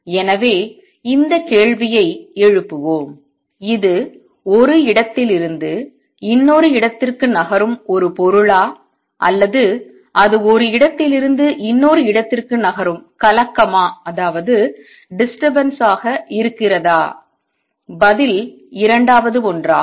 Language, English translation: Tamil, So, let us raise this question; is it a material moving from one place to another or is it a disturbance moving from one place to another and the answer is second one